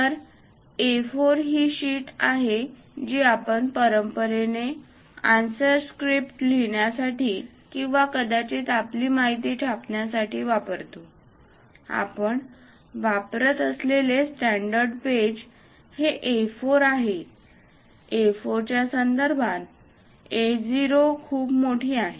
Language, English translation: Marathi, So, A4 is the sheet what we traditionally use it for writing answer scripts or perhaps printing our material; the standard page what we use is this A4; with respect to A4, A0 is way large